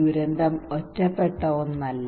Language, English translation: Malayalam, Disaster is not an isolated one